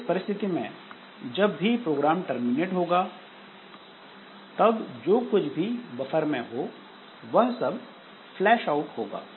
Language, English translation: Hindi, So, in this case what will happen when the program terminates then whatever is there in the buffer so that is actually flashed out